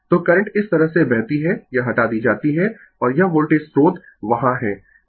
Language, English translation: Hindi, So, current will flow like this , this is you remove and this Voltage source is there right